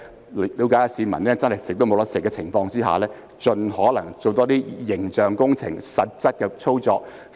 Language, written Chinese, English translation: Cantonese, 他們要了解市民沒有溫飽的情況，並盡可能多做形象工程、實質的工作。, They must understand the plight of the people and try to do more image engineering and pragmatic work by all means